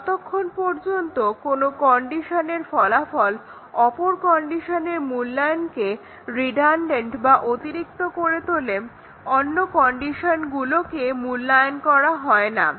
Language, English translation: Bengali, All the conditions are not evaluated as long as the outcome of some condition makes the other condition evaluations redundant other conditions are not evaluated